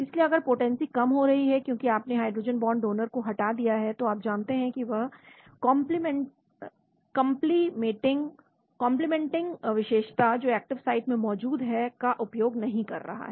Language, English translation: Hindi, So if the potency is going down because you removed a hydrogen bond donor, then you know that that complimenting feature that is available in the active site is not made use of that is called the